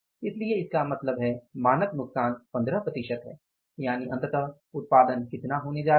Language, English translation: Hindi, So, it means the standard loss is 15% it means output is going to be how much finally 85% and what is this